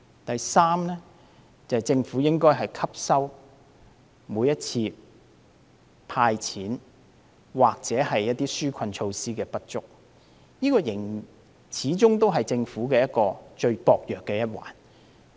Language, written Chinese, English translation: Cantonese, 第三，政府應該從每次推出"派錢"或紓困措施的不足汲取教訓，這始終是政府最薄弱的一環。, Third the Government should learn from the cash handouts or relief measures introduced in the past which were considered not enough and have always been a weakness of the Government